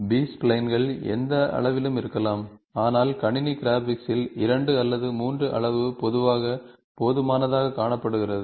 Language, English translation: Tamil, This spline can be of any degree, but in computer graphics the degree of 2 or 3, are generally found to be sufficient